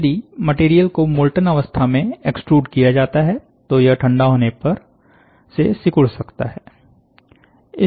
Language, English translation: Hindi, If the material is extruded in the molten state, it may also shrink when cooling